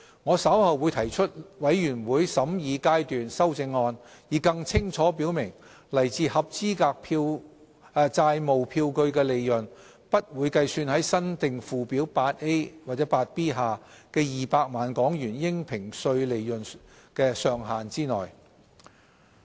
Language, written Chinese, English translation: Cantonese, 我稍後會提出全體委員會審議階段修正案，以更清楚表明來自合資格債務票據的利潤不會計算在新訂附表 8A 或 8B 下的200萬港元應評稅利潤"上限"之內。, I will in a moment propose Committee stage amendments to stipulate more clearly that profits relating to qualifying debt instruments will not be counted towards the cap of HK2 million of assessable profits under the new Schedule 8A or 8B